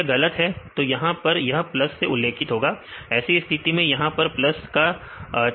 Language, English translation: Hindi, If it is wrong it mention as plus here; in this case if you what was see the plus signs here